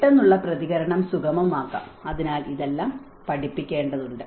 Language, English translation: Malayalam, The immediate response could be facilitated, so all this has to be taught